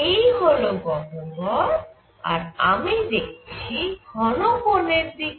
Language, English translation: Bengali, This is the cavity and I am looking into the solid angle